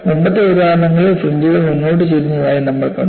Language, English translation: Malayalam, In the earlier examples, we saw the fringes were tilted forward